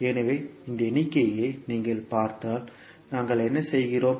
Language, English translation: Tamil, So, if you see this particular figure, what we are doing